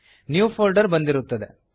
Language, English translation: Kannada, * A New Folder is created